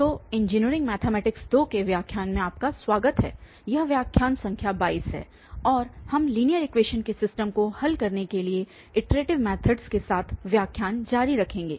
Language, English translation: Hindi, So, welcome back to lectures on Engineering Mathematics 2 and this is lecture number 22 and we will continue with iterative methods for solving system of linear equations